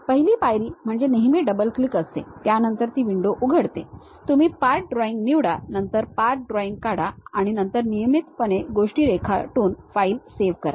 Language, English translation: Marathi, First step is always double clicking, then it opens a window, you pick part drawing, then go draw the path drawing, and then regularly save the file by drawing the things